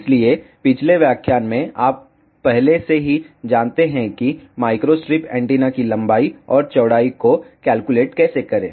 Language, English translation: Hindi, So, in the previous lecture you already know how to calculate the length and width of micro strip antenna